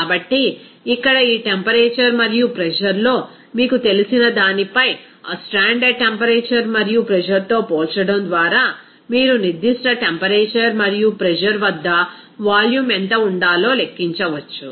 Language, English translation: Telugu, So, here at this temperature and pressure upon that you know comparing on that standard temperature and pressure, you can calculate what should be the volume at a particular temperature and pressure